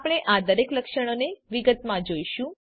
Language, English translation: Gujarati, We will look into each of these features in detail